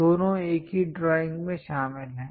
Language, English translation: Hindi, Both are included in the same drawing